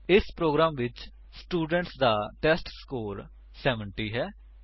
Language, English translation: Punjabi, In this program, the students testScore is 70